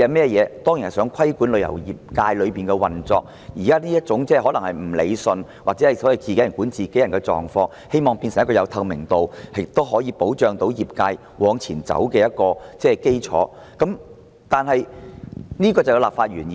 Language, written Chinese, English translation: Cantonese, 《條例草案》當然旨在規管旅遊業界的運作，希望把現時這種所謂"自己人管自己人"的情況，變成一個有透明度亦可保障業界往前走的制度，這就是其立法原意。, The Bill certainly aims at regulating the operation of the travel industry in the hope that the present situation of monitoring by peers will be converted into a transparent system to facilitate the industry to move forward . That is the original legislative intent